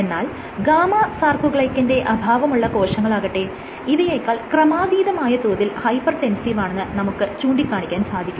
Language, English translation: Malayalam, Gamma sarcoglycan deficient cells, they are way more hypertensive